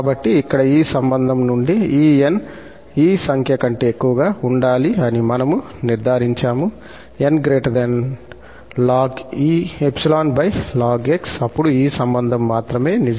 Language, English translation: Telugu, So, here, from this relation itself we conclude that this n has to be greater than this number, ln divided by ln, then only this relation holds true